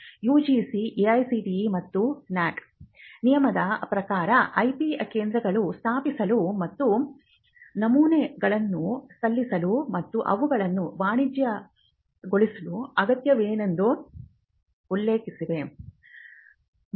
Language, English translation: Kannada, The UGC, AICTE and NAAC has mentioned in many words they need to set up IP centres and to be filing patterns and even to commercialize them